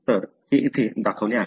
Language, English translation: Marathi, So this is what shown here